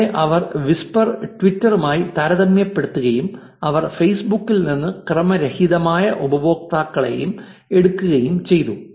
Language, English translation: Malayalam, Here they took whisper, they also took random users from facebook, compared also to twitter